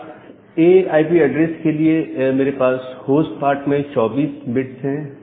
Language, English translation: Hindi, Say for a class A IP address, I have 24 bits in the host address part